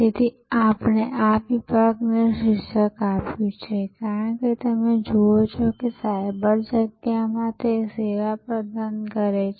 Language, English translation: Gujarati, So, we would have titled therefore this section as you see on your screen, delivering services in cyberspace